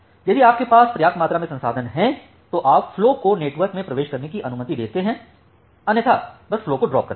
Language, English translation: Hindi, If you have sufficient amount of resources, then you allow the flow to enter in the network, otherwise you simply drop the flow